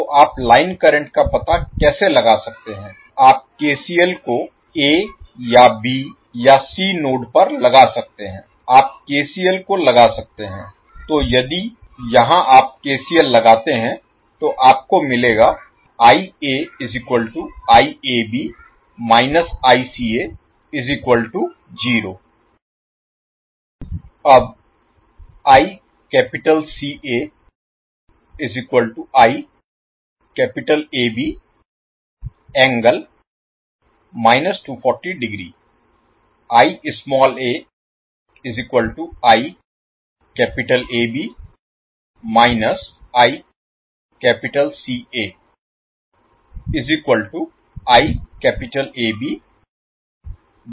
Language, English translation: Hindi, So how you can find out the line current, you can simply apply KCL at the nodes either A or B or C you can apply the KCL